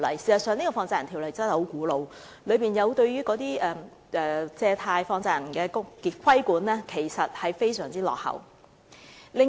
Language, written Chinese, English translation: Cantonese, 事實上，《條例》的確很古老，當中對於借貸或放債人的規管非常落後。, In fact the Ordinance is honestly obsolete and its regulation of money lending and money lenders is already out of date